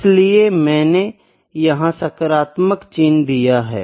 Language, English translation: Hindi, So, here I have put positive sign here